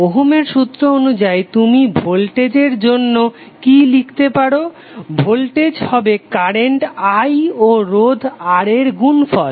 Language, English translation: Bengali, So as for Ohm’s law what you can write for voltage, voltage would be current I and multiplied by resistance R